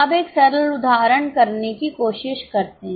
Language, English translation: Hindi, Now, let us try to do one simple illustration